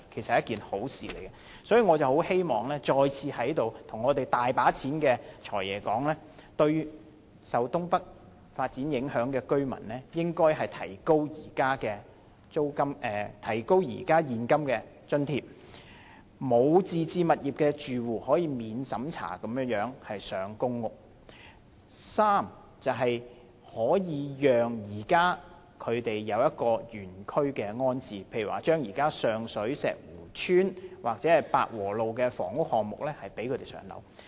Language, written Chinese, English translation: Cantonese, 所以，我再次在這裏跟掌管着巨額公帑的"財爺"說：第一、對於受東北發展影響的居民，提高他們可獲的現金津貼額；第二、對於沒有自置物業的住戶，容許他們免審查獲分配公屋：第三、將居民原區安置，例如上水寶石湖邨，或者百和路的房屋項目。, Therefore once again I am speaking to the Financial Secretary who controls and manages the massive public coffers first as regards residents affected by the NENT development the amount of cash allowance payable to them should be raised; second as regards residents who do not own any property they should be allocated PRH flats without having to pass a means test; third residents should be rehoused within the district such as to Po Shek Wu Estate in Sheung Shui or the housing project on Pak Wo Road